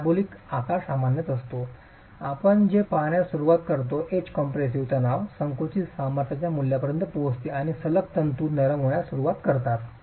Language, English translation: Marathi, Parabolic shape is typically what we start seeing the edge compressive stress reaches the value of compressive strength and the consecutive fibers start softening